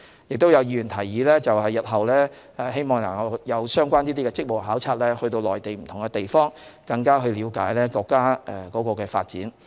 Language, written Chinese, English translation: Cantonese, 亦有議員提議，希望日後能有相關的職務考察，到內地不同地方了解國家的發展。, Some Members also suggested organizing similar duty visits in future to different places in the Mainland for better understanding of the countrys development